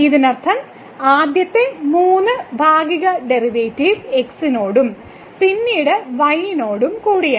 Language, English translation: Malayalam, This means the first three partial derivative with respect to and then with respect to